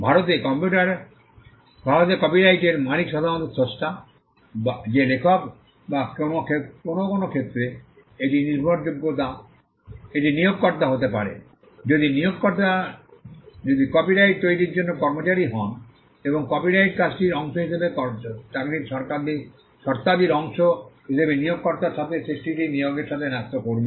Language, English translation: Bengali, In India the owner of the copyright is usually the creator that is the author or in some cases it could be the employer, if the employer as employed is employees to create the copyright and as a part of the terms of employment the copyrighted work would vest with the employer the creation would vest with the employer